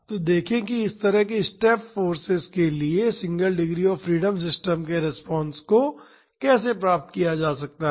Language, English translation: Hindi, So, let us see how the response of single degree of freedom system for this kind of a step forces